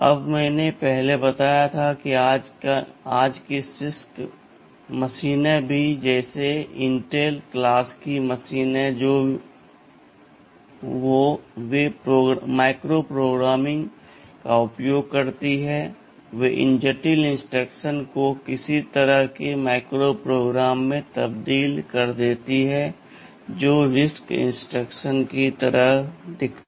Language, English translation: Hindi, Now I told earlier that even the CISC machines of today like the Intel class of machines they use micro programming, they translate those complex instructions into some kind of micro programs simpler instructions whichthat look more like the RISC instructions